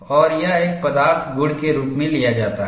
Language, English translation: Hindi, And this is taken as a material property